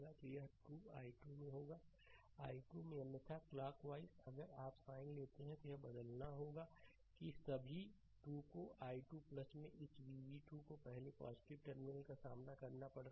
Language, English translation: Hindi, So, it will be 2 into i 2 that 2 into i 2 right otherwise clockwise if you take sign has to be change thats all 2 into i 2 plus this v v 2 it is encountering plus terminal first